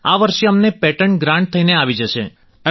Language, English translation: Gujarati, This year, it came to us through a patent grant